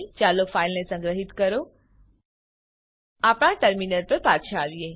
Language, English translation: Gujarati, Let us save the file Come back to our terminal